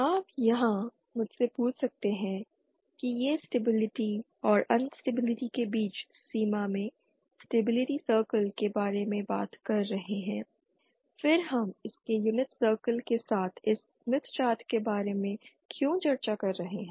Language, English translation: Hindi, You might ask me here these are talk about stability circle in the boundary between stability and instability then why are we discussing about this smith chart with its unit circle